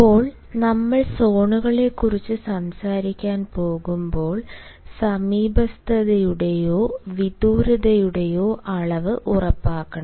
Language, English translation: Malayalam, now, when we are going to talk about zones, we should also ensure the amount of nearness or remoteness